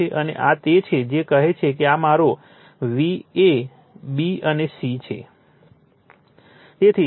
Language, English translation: Gujarati, And this is your what you call say this is my v a, b and c